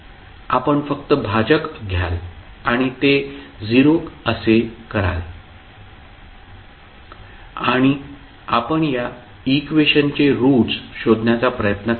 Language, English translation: Marathi, You will simply take the denominator and equate it to 0 and you try to find out the roots of this particular expression